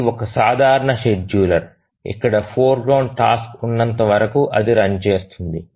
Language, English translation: Telugu, So, it's a simple scheduler where as long as there is a foreground task it runs